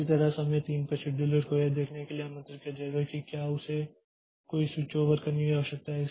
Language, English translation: Hindi, Similarly at time 3 the scheduler will be invoked to see if it needs to do any switchover